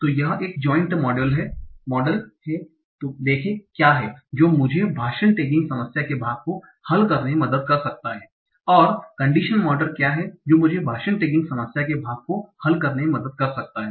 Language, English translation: Hindi, So what is a joint model that can help me solve the part of speech taking problem, and what is a condition model that can help me solve the part of speech taking problem and what is a condition model that can help me solve the part of speech tracking problem